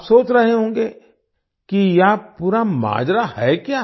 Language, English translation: Hindi, You must be wondering what the entire matter is